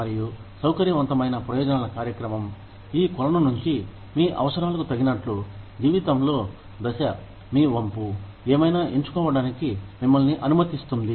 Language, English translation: Telugu, And, the flexible benefits program, lets you choose, from this pool, depending on your needs, stage in life, your inclination, whatever